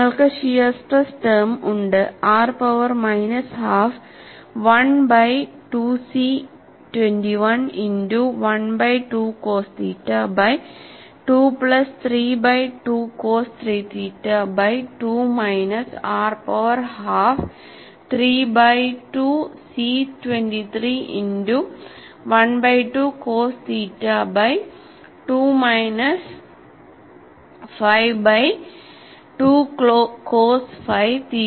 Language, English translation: Malayalam, And you have the shear stress term, r power minus half 1 by 2 C 21 multiplied by 1 by 2 cos theta by 2 plus 3 by 2 cos 3 theta by 2 minus r power half 3 by 2 C 23 multiplied by 1 by 2 cos theta by 2 minus 5 by 2 cos 5 theta by 2